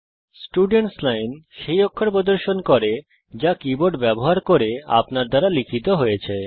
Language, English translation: Bengali, The Students Line displays the characters that are typed by you using the keyboard